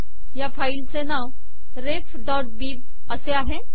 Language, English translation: Marathi, Actually the filename is ref.bib